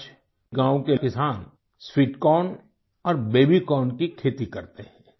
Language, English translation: Hindi, Today farmers in the village cultivate sweet corn and baby corn